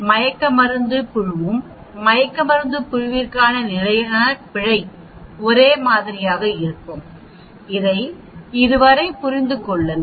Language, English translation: Tamil, Now CV is a same for the anesthesia group also, the standard error will be the same for the anesthesia group do you understand this so far